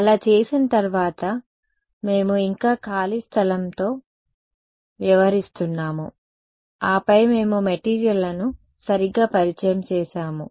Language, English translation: Telugu, After having done that so, far we were still dealing with free space then we introduced materials right